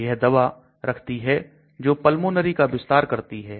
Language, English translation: Hindi, So it contains drug which will dilate the pulmonary